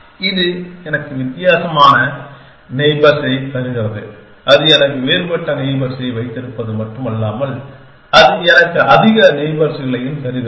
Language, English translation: Tamil, It gives me a different set of neighbors not only he keeps a different set of neighbors it gives me more neighbors